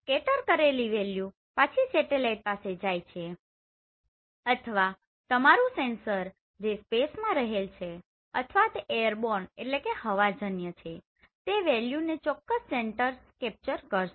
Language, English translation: Gujarati, So the scattered value will go back to satellite or your sensor which is located either in this space or maybe in airborne and that will be captured by this particular sensor